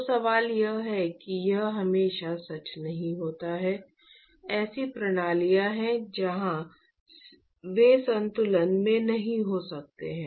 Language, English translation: Hindi, So, the question is that is not always true, there are systems where they may not be under equilibrium